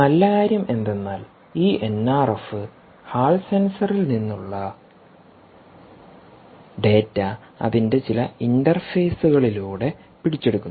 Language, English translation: Malayalam, the good thing is this: n r f, which essentially is capturing data from the hall sensor through some of its interfaces